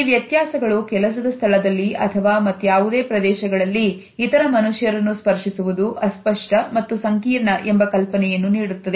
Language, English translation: Kannada, These differences alert us to this idea that touching other human beings in a workplace is a fuzzy as well as a complex area